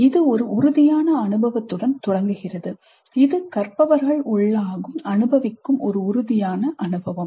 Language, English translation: Tamil, It starts with a concrete experience, a concrete experience that the learner undergoes